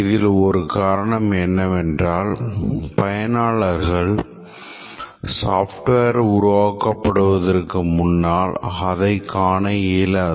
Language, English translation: Tamil, One is that the customer is not able to view the software in entirety before the software is built